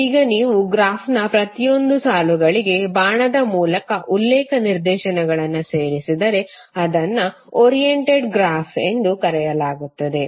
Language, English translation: Kannada, Now if you add the reference directions by an arrow for each of the lines of the graph then it is called as oriented graph